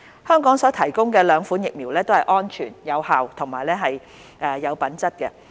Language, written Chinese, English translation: Cantonese, 香港所提供的兩款疫苗都是安全、有效及品質良好的。, The two vaccines currently provided in Hong Kong are safe efficacious and of good quality